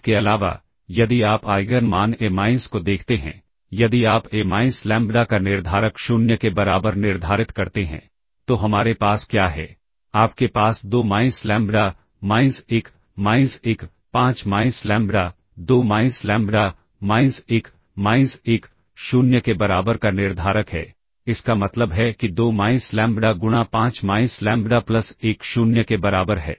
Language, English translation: Hindi, We have A equals A transpose, further if you look at the Eigen values A minus that is if you said the determinant of A minus lambda equal to 0, then what we have is you have the determinant of 2 minus lambda minus 1 minus 1; 5 minus lambda equal to 0; this implies 2 minus lambda into 5 minus lambda plus 1 equal to 0